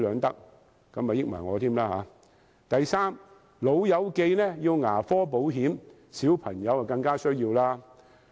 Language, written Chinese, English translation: Cantonese, 第三，"老友記"要牙科保險，小朋友更加需要。, Third old pals need dental insurance children need it more